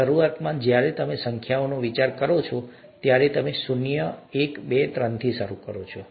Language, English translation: Gujarati, Initially when you think of numbers, you start from zero, one, two, three